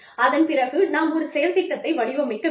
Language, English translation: Tamil, Then, we need to design, an action plan